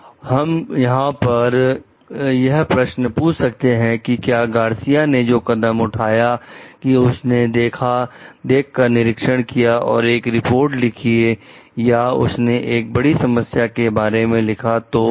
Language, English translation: Hindi, So, we can question over here also like was it a right step taken by Garcia just to make a visual inspection and write a report or though she is written about potential problems